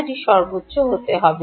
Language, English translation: Bengali, i think it's the maximum